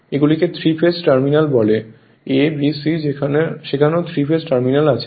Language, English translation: Bengali, The way you have seen 3 phase; A B C there also 3 phase terminals same thing